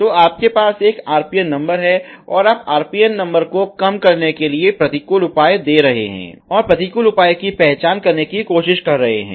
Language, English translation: Hindi, So, you are having an RPN number and your trying to reduced the RPN number the giving the counter measure and identify the counter measure